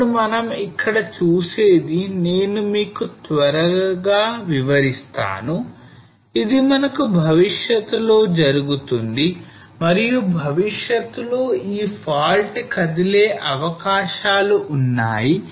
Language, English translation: Telugu, Now what we see here is very quickly I will just explain that why we say that this will move in future and there are chances of this fault to move in future